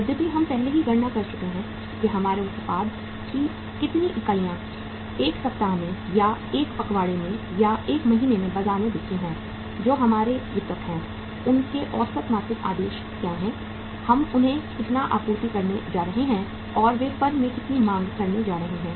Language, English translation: Hindi, Though we have already calculated that how much units of our product we sell in a week or in a fortnight or in a month in the market, who are our distributors, what are their average monthly orders, how much we are going to supply to them and how much they are going to demand from the firm